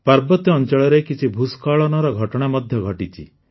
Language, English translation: Odia, Landslides have also occurred in hilly areas